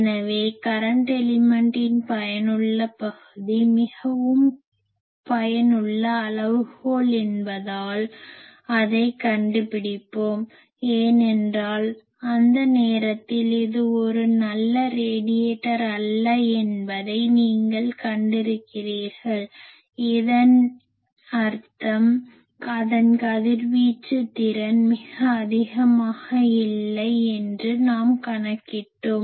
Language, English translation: Tamil, So, let us find that because effective area of a current element is a very useful quantity, because that time you have seen that it is not a very good radiator that means, we said that its radiation efficiency is not very high that we calculated that time